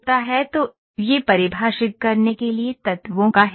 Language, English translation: Hindi, So, this is the portion of elements to define